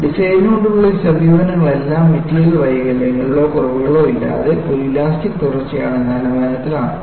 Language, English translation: Malayalam, The conventional design approaches are done with the premise that, the material is an elastic continuum, without any material defects or flaws